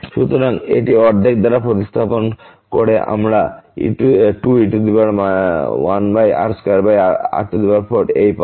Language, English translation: Bengali, So, replacing this by half we will get this 2 e power minus 1 over r square over 4